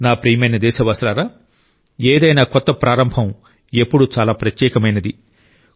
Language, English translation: Telugu, My dear countrymen, any new beginning is always very special